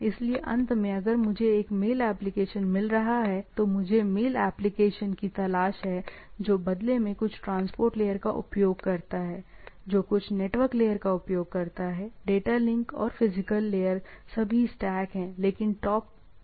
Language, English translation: Hindi, So, end of the day I am looking for, if I am a having a mail application, I am looking for the mail application, that in turn uses some transport layer that, in turns uses some network layer; in turn data link and physical all stack is there, but the at the top it is the application layer